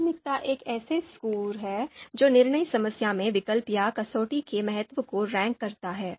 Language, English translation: Hindi, So by priority what we mean is a score that ranks the importance of the alternative or criterion in the decision problem